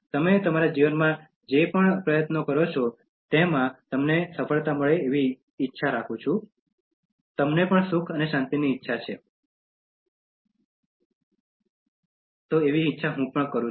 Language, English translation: Gujarati, Wish you success in whatever endeavor that you take in your life, wish you happiness and peace also